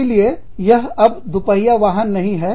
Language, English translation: Hindi, So, it is no longer, two wheelers